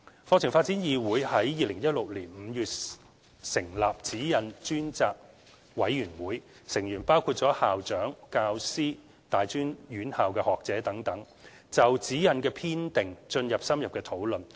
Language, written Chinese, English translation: Cantonese, 課程發展議會於2016年5月成立《指引》專責委員會，成員包括校長、教師、大專院校學者等，就《指引》的編訂進行深入的討論。, The SECG Ad Hoc Committee comprising principals teachers and academics from tertiary institutions was set up by the Curriculum Development Council CDC in May 2016 to conduct in - depth discussions on the preparation of SECG